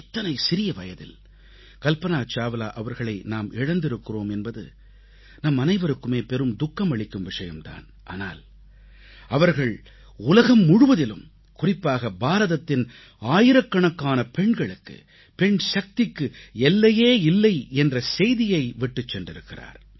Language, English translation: Tamil, It's a matter of sorrow for all of us that we lost Kalpana Chawla at that early age, but her life, her work is a message to young women across the world, especially to those in India, that there are no upper limits for Nari Shakti …